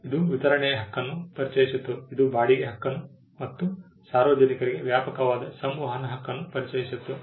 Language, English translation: Kannada, It introduced the right of distribution; it introduced the right of rental and a broader right of communication to the public